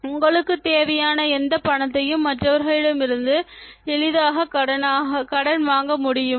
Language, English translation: Tamil, Can you borrow any amount of money you need easily from others